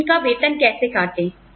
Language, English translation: Hindi, How do we deduct their salaries